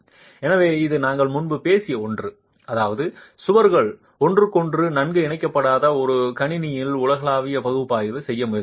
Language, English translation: Tamil, So, this is something that we had talked about earlier which means if you try to do a global analysis on a system where the walls are not well connected to each other, you have a problem